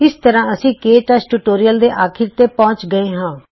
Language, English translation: Punjabi, This brings us to the end of this tutorial on KTouch